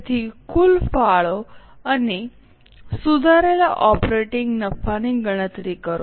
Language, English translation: Gujarati, So, compute the total contribution and the revised operating profit